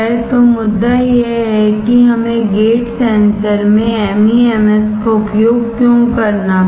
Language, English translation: Hindi, So, the point is that is why we had to use the MEMS in gate sensors